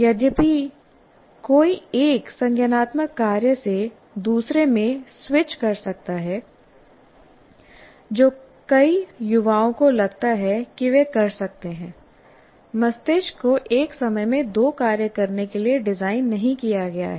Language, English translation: Hindi, Though one may switch from one cognitive task to the other, which many angsters feel that they can multitask, but the brain is not designed to do two tasks at the same time